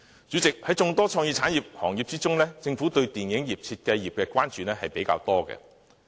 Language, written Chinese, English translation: Cantonese, 主席，在眾多創意產業行業中，政府對於電視業和設計業的關注比較多。, President the Government cares more about television broadcasting and design among the various creative industries